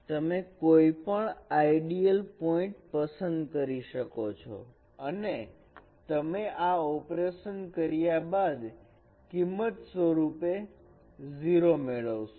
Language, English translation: Gujarati, You choose any ideal point and you perform this operation, you will get 0